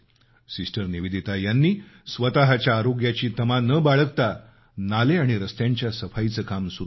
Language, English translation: Marathi, Sister Nivedita, without caring for her health, started cleaning drains and roads